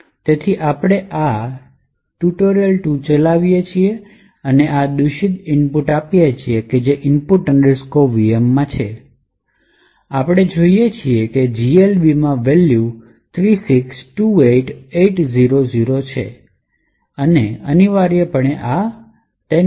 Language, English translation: Gujarati, So, we run this tutorial 2, give it this malicious input, which is input vm and we see that the value in GLB is 3628800, this essentially is the value for 10 factorial are which you can actually verify